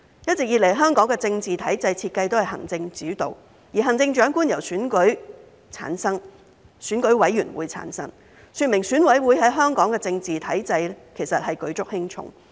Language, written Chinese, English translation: Cantonese, 一直以來，香港的政治體制設計都是行政主導，行政長官由選舉委員會產生，說明選委會在香港政治體制舉足輕重。, The political system in Hong Kong has long been designed to be executive - led with the Chief Executive being selected by the Election Committee EC indicating that EC plays a pivotal role in the political system of Hong Kong